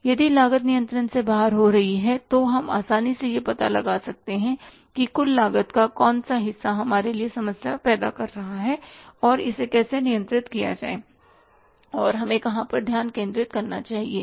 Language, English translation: Hindi, If the cost is going out of control we can easily find out that which part of the total cost is creating a problem for us and how to control it and where we should focus upon so that the total cost of the product remains under control